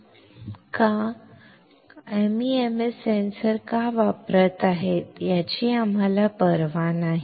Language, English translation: Marathi, No, absolutely not, we do not care why MEMS is using a sensor we do not care